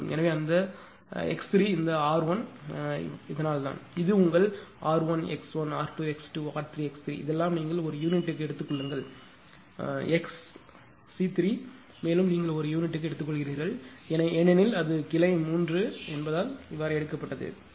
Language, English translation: Tamil, So, in that case in in that is why this x 3 this r 1; this your sorry this is r 1 x 1, r 2 x 2 and r 3 x 3 right this all this thing you take in per unit then x 33 x c 3 also you take it per unit because it is series that is why it has been taken